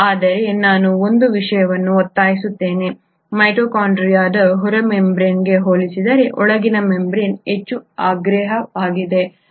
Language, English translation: Kannada, But I will insist on one thing; the inner membrane is highly impermeable compared to the outer membrane of the mitochondria